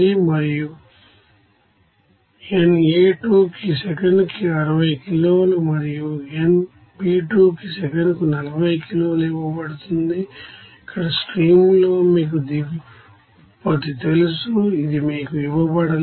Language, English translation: Telugu, And nA2 is given 60 kg per second and nB2is given 40 kg per second, and in the stream 3 here it is you know bottom product, it is not given to you